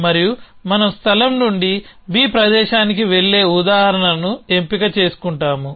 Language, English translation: Telugu, And we a choose in select of example of going from place a to place b